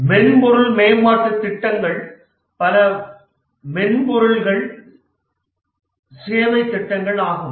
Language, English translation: Tamil, Many of the software development projects are software services projects